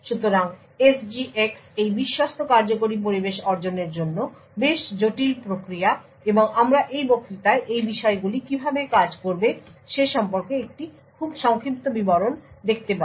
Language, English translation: Bengali, So SGX is quite a complicated mechanism to achieve this trusted execution environment and we will just see a very brief overview in this lecture about how these things would work